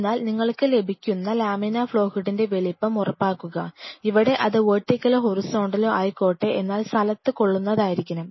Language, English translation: Malayalam, So, please ensure whatever size of a laminar flow hood you are getting, where this a vertical or horizontal it should match into the space